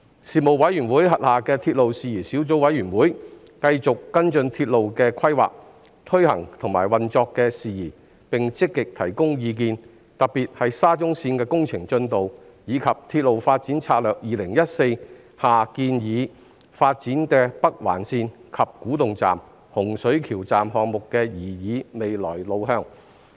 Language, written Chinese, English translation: Cantonese, 事務委員會轄下的鐵路事宜小組委員會，繼續跟進鐵路的規劃、推行及運作的事宜，並積極提供意見，特別是沙中綫的工程進度，以及《鐵路發展策略2014》建議發展的北環線、洪水橋站項目的擬議未來路向。, The Subcommittee on Matters Relating to Railways established under the Panel continued to follow up and actively advise on matters relating to railway planning implementation and operation especially the progress of the construction works of the Shatin to Central Link and the proposed way forward of the Northern Link and the Hung Shui Kiu Station proposed under the Railway Development Strategy 2014